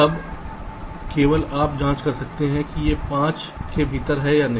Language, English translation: Hindi, then only you can check whether it is within five or not right